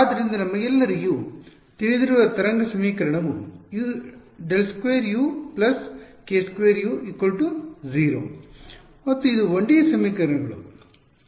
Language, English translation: Kannada, So, the wave equation we all know is simply del squared U plus k squared u is equal to 0 and this is a 1D equations